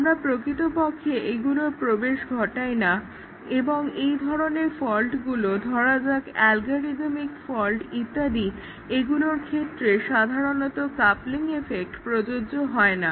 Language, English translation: Bengali, We cannot really introduce these and for those types of faults, let say algorithm faults and so on, the coupling effect may not really hold